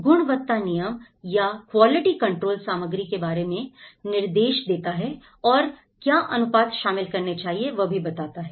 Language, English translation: Hindi, In terms of quality control, it is also talks about the material, what are the ratios we have to include